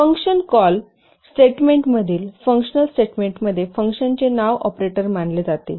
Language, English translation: Marathi, A function name in a function call statement is considered as an operator